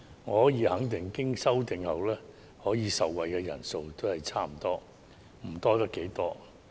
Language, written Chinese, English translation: Cantonese, 我可以肯定，經修正後，可以受惠的人數差不多，不會多出多少。, I am almost certain that after it is amended the number of people who would benefit is almost the same; the difference is not that significant